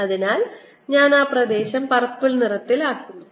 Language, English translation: Malayalam, so i will just put that an area and purple